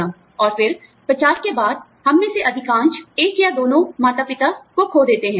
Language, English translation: Hindi, And then, after 50, most of us, you know, have lost one or both parents